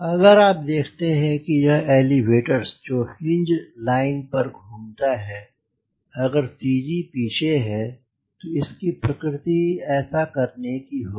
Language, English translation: Hindi, if you see that if this is the elevator which is suppose to move about this cg line, if cg is behind, so it will, it will have tendency to do like this